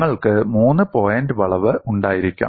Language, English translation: Malayalam, You may have a three point bend